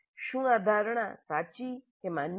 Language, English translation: Gujarati, Is this assumption valid